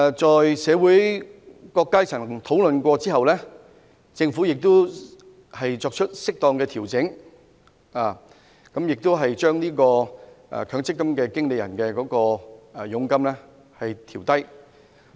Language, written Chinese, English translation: Cantonese, 經社會各階層討論後，政府亦已作出適當的調整，調低強積金管理人的佣金。, After discussions among various sectors of the community the Government has now made appropriate adjustments to reduce the commissions of MPF administrators